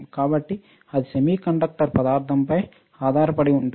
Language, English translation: Telugu, So, it is related to imperfection semiconductor